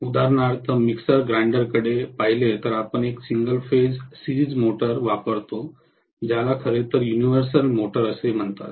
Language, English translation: Marathi, So for example, if you look at mixer grinder, we use a single phase series motor which is actually known as universal motor